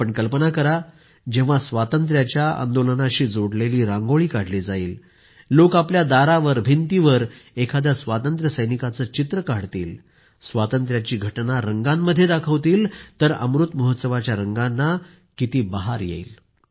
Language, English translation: Marathi, Just imagine, when a Rangoli related to the freedom movement will be created, people will draw a picture of a hero of the freedom struggle at their door, on their wall and depict an event of our independence movement with colours, hues of the Amrit festival will also increase manifold